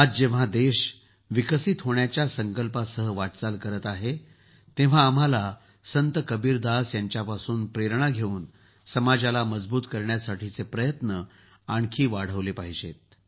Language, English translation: Marathi, Today, when the country is moving forward with the determination to develop, we should increase our efforts to empower the society, taking inspiration from Sant Kabir